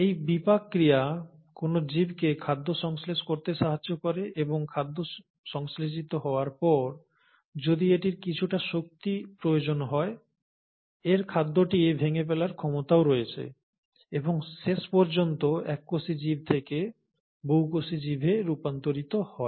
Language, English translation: Bengali, These metabolic reactions to allow an organism to now synthesize food, and having synthesized food, also have the ability to break down the food if it needs to have some energy, and eventually transition from a single celled organism to a multi cellular organism